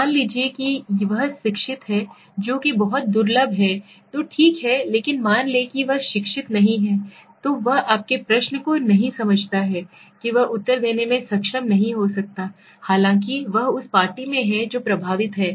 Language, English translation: Hindi, Now what will he say, sometimes if he is educated which is very very rare then it is okay but suppose he is not educated he does not understand your question he might not be able to answer although he is in party who is affected, right